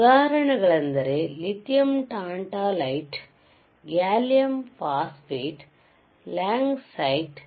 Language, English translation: Kannada, ESo, examples are lithium, tantalite, lithium tantalite gallium phosphate, langasite